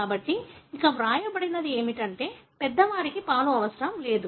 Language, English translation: Telugu, So, that is what is written here, milk was not needed by the adult